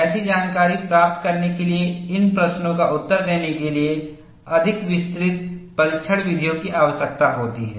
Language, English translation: Hindi, In order to get such information, a more exhaustive test methods needs to be done, to answer these questions